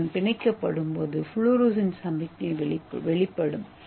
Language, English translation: Tamil, So once it is released it will give the fluorescence signal